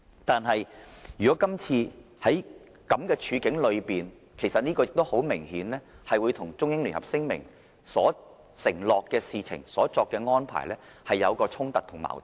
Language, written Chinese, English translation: Cantonese, 但是，在今次這種處境下，其實很明顯與《中英聯合聲明》所承諾的事情和所作的安排有所衝突和矛盾。, The point is that what has happened this time around is obviously at variance with what is enshrined in the Joint Declaration